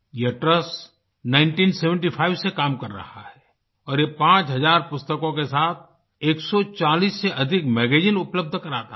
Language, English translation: Hindi, This trust has been working since 1975 and provides 140 magazines, along with 5000 books